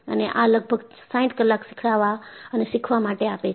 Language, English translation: Gujarati, And, this comes for about 60 hours of teaching and learning